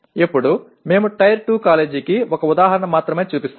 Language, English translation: Telugu, Now we show only one example of Tier 2 college